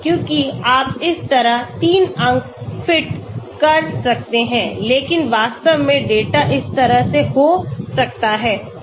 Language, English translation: Hindi, Because you may fit 3 points like this but in reality the data may be going like this